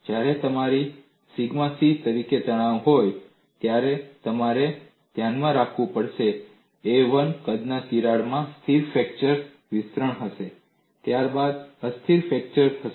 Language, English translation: Gujarati, You have to keep in mind when you have the stress as sigma c, a crack of size a 1 will have a stable fracture extension, followed by unstable fracture